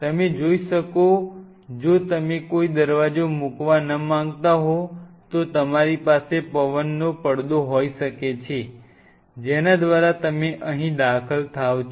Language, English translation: Gujarati, You could have if you do not want to put a sliding door you could have a wind curtain through which you entered here